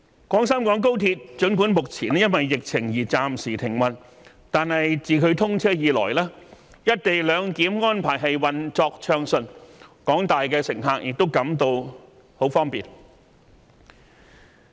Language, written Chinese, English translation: Cantonese, 廣深港高鐵儘管目前因疫情而暫時停運，但自其通車以來"一地兩檢"安排運作暢順，廣大乘客都感到很方便。, Even though the Guangzhou - Shenzhen - Hong Kong Express Rail Link service is suspended due to the pandemic the co - location arrangement has all along been smooth since its implementation and passengers have felt its convenience